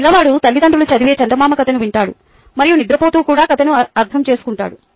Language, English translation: Telugu, a child listens to a fairy tale being read by the parent and understands the story even while falling asleep